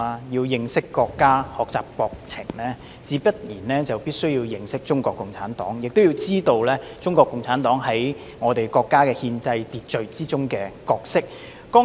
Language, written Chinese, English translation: Cantonese, 要認識國家、學習國情，必然要認識中國共產黨，亦要知道中國共產黨在國家憲制秩序中的角色。, In order to understand our country and learn about national affairs we must have knowledge of CPC and its role in the constitutional order of China